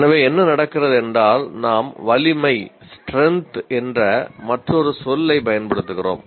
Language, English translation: Tamil, So what happens we introduce the another word called strength